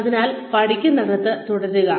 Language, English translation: Malayalam, So, keep learning